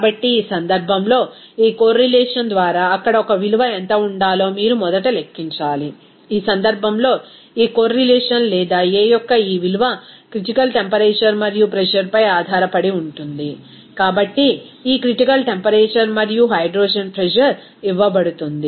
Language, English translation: Telugu, So, in this case, you need to calculate first what should be the a value there by this correlation, in this case since this correlation or this value of a is depending on critical temperature and pressure, this critical temperature and pressure of hydrogen is given to you